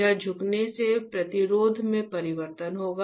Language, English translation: Hindi, This bending will cause change in the resistance, right